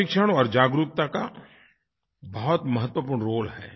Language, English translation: Hindi, Training and awareness have a very important role to play